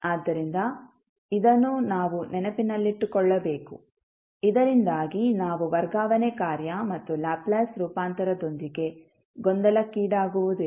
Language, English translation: Kannada, So, this we have to keep in mind, so that we are not confused with the transfer function and the Laplace transform